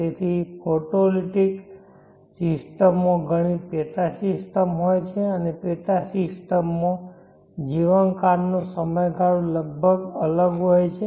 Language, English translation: Gujarati, So photolytic system contains many sub systems and the sub systems have different life spans